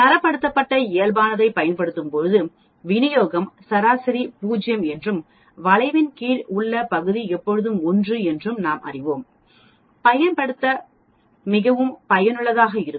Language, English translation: Tamil, When we use the Standardized Normal Distribution, we will know that the mean is 0 and the area under the curve is always 1